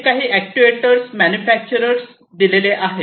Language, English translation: Marathi, These are some actuator manufacturers